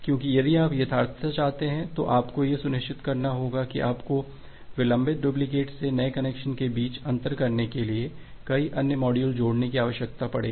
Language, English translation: Hindi, Because if you want for the correctness what you have to ensure that you need to add multiple other modules to differentiate between a new connection from a delayed duplicates